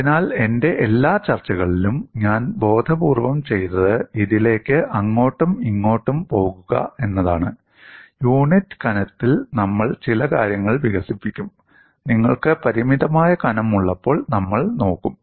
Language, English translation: Malayalam, So, in all my discussions, what I have consciously done is to go back and forth on this; certain things we will develop on unit thickness; we will also look at when you have for a finite thickness